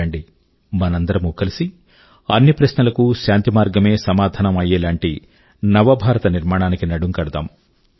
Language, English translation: Telugu, Come, let's together forge a new India, where every issue is resolved on a platform of peace